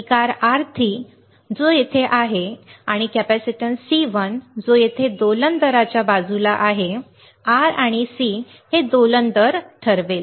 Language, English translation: Marathi, The resistance R3 which is here and capacitance C1 which is here beside the oscillating rate is R and C will decide the oscillating rate